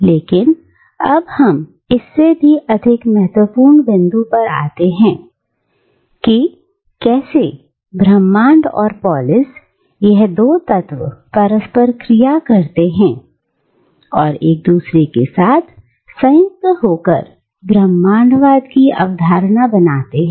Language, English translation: Hindi, But, now we come to the more important point, how the two elements cosmos and polis interact and combined with each other to form the concept of cosmopolitanism